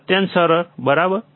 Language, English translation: Gujarati, Extremely easy, right